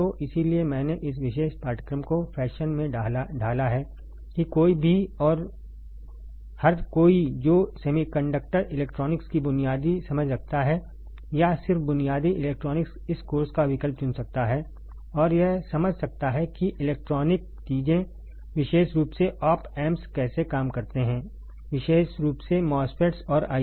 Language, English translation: Hindi, So, that is why I have molded this particular course in the fashion that anyone and everyone who has a basic understanding of semiconductor electronics or just basic electronics can opt for this course, and can understand how the electronic things are particularly op amps, particularly MOSFETs and ICs work